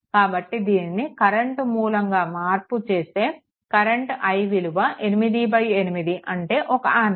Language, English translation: Telugu, So, transform into a current source, so i will be is equal to 8 by 8 is equal to 1 ampere